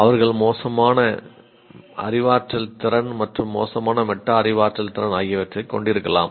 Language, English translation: Tamil, They may have poor cognitive ability as well as poor metacognitive ability, both